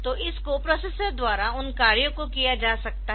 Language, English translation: Hindi, So, those can be done by this co processor